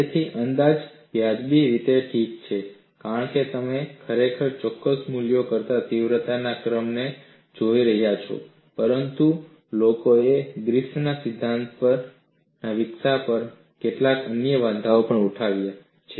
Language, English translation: Gujarati, So, the approximation is reasonably alright, because you are really looking at order of magnitude than exact values, but people also have raised certain other objections on the development of the Griffith’s theory